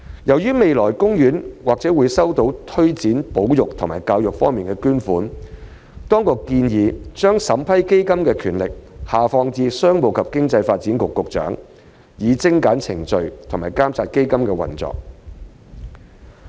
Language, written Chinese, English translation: Cantonese, 由於海洋公園未來或會收到推展保育和教育方面的捐款，當局建議將審批基金的權力下放至商務及經濟發展局局長，以精簡程序和監察基金的運用。, As OP may receive donations in relation to the promotion of conservation and education in the future the authorities have proposed that the approving authority for the Trust Fund be devolved to the Secretary for Commerce and Economic Development in order to streamline the process while ensuring oversight of the use of the Trust Fund